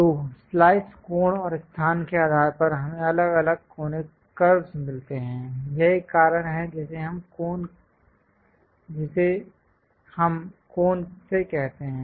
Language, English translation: Hindi, So, based on the slice angle and location, we get different conic curves; that is a reason we call, from the cone